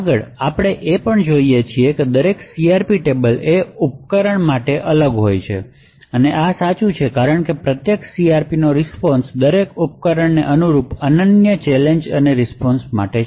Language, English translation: Gujarati, Further, what we also see is that each CRP table is device specific and this is true because each CRP response to the unique challenge and responses corresponding to each device